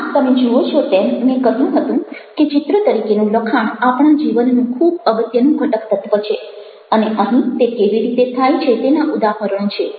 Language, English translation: Gujarati, so you see that i told you that images as text sorry, texts as images is a very important component of our life, and here are examples of how it happens